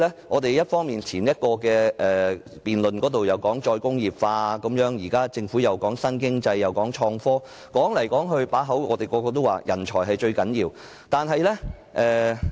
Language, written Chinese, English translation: Cantonese, 我們在先前的辯論中提到"再工業化"，現時政府又談及新經濟和創科，說到底，我們始終認為人才是最重要的。, Earlier in our debate we mentioned re - industrialization . Now the Government talks about new economy and information and technology . After all we consider talent the most important requisite